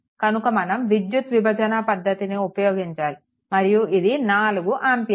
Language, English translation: Telugu, But we will go for current division and this is 4 ampere